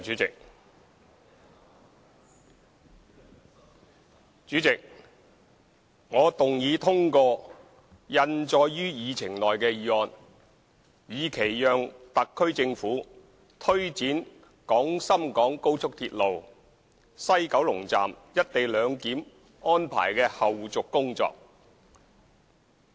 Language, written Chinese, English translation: Cantonese, 主席，我動議通過印載於議程內的議案，以期讓特區政府推展廣深港高速鐵路西九龍站"一地兩檢"安排的後續工作。, President I move that the motion as printed on the Agenda be passed so as to enable the Hong Kong Special Administrative Region SAR Government to take forward the follow - up tasks of the co - location arrangement at the West Kowloon Station of the Guangzhou - Shenzhen - Hong Kong Express Rail Link XRL